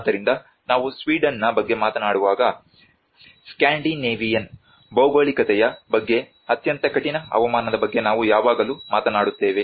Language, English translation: Kannada, So when we talk about Sweden we always see thinks about the Scandinavian geographies with very harsh climatic conditions